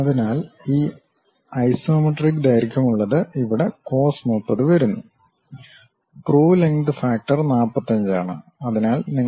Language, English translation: Malayalam, So, that isometric length thing comes faster cos 30 here; the true length factor comes at 45